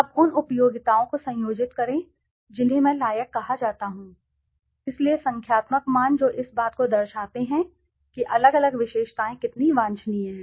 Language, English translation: Hindi, Now conjoint utilities that are called part worth which I said, so numerical values that deflect how desirable different features are